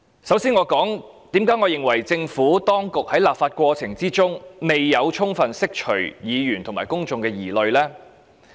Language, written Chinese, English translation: Cantonese, 首先，我想說說，為何我認為政府當局在立法過程中未有充分釋除議員和公眾的疑慮呢？, First of all I would like to explain why I consider that the Government has failed to fully dispel the misgivings held by Members and the public in the legislative process